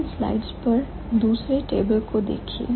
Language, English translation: Hindi, Look at the second table on the slides